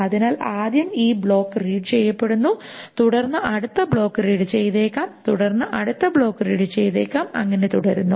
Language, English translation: Malayalam, So, first this block is being red, then next block may be red, then next block may be red, and so on, so forth